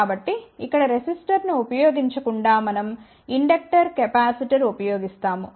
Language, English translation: Telugu, So, instead of using a resistor here we will be using inductor capacitor, inductor capacitor